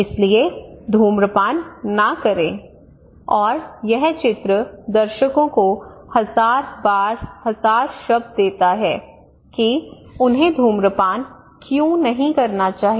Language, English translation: Hindi, So do not smoke and this picture gives thousand words to the audience that why they should not smoke